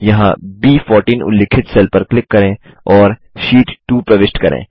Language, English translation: Hindi, Here lets click on the cell referenced as B14 and enter Sheet 2